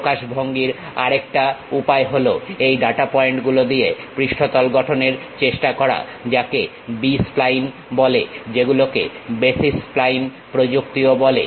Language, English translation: Bengali, ah The other way of representation, these data points trying to construct surfaces called B splines, which is also called as basis splines technique